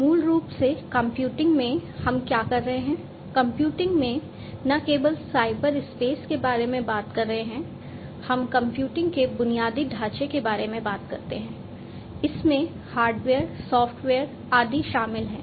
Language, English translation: Hindi, So, basically in computing what is there is we are talking about not only the cyberspace in computing, we talk about the computing infrastructure which includes hardware, software etc